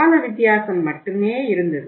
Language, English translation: Tamil, Only there was a difference of time